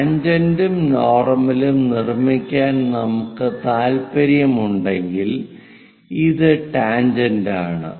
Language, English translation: Malayalam, If we are interested in constructing tangent and normal to that anyway, this is tangent which is going